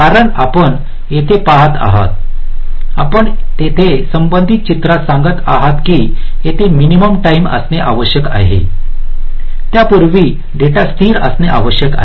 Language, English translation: Marathi, so here we are saying in there, with respect diagram, that there must be a minimum time here before which the data must be stable